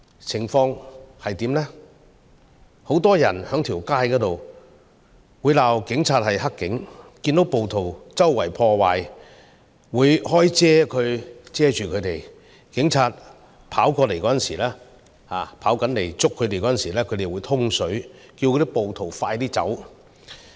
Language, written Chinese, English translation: Cantonese, 街上很多人會罵警察是"黑警"，看到暴徒到處破壞，會打開傘子來遮蓋他們，警察跑過來抓人時，他們會叫暴徒快點走。, Many people on the street call police officers dirty cops; they use umbrellas to cover rioters committing acts of vandalism; and they tell other rioters to flee when police officers come to arrest them